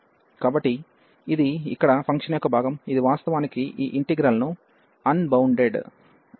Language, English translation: Telugu, So, this is the function here the part of the function, which is actually making this integrand unbounded